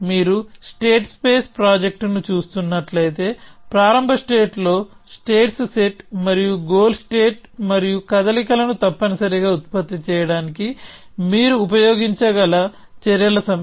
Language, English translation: Telugu, If you are looking at the state space project then the set of states in a start state and a goal state and a set of action that you can use to generate the moves essentially